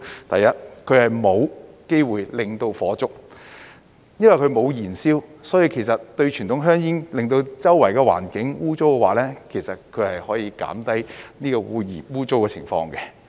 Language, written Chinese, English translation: Cantonese, 第二，它沒有機會導致火災，因為它沒有燃燒，所以相對於傳統香煙會弄污四周環境的話，其實它可以減低污穢的情況。, Second they have no chance of causing a fire since burning is not involved . Therefore they are actually less dirty when compared with conventional cigarettes which would make the surrounding environment filthy